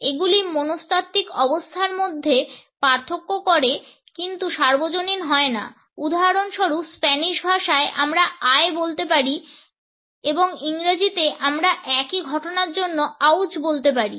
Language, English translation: Bengali, They differentiate amongst psychological states in but are not always universal, for example in Spanish we can say ay and in English we can say ouch for the same phenomena